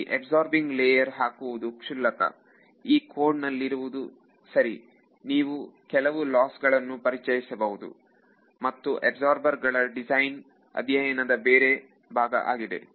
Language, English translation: Kannada, Adding a absorbing layer is trivial what is there in a in code right you have to introduce some loss and this design of this absorbers is a another separate area of research altogether